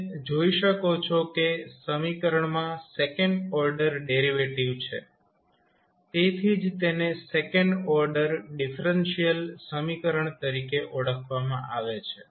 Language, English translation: Gujarati, So, now if you see the equation as a second order derivative so that is why it is called as a second order differential equation